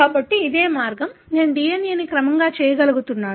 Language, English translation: Telugu, So, this is the way, I am able to sequence the DNA